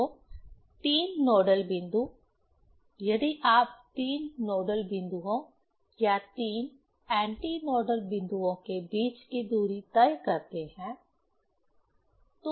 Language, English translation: Hindi, So, 3 nodal points, if you take distance between 3 nodal points or 3 antinodal points, that is the wavelength